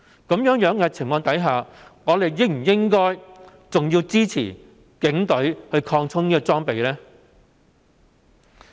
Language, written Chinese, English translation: Cantonese, 在這種情況下，我們應否支持警隊擴充裝備？, Under such circumstances should we support the expansion of police equipment?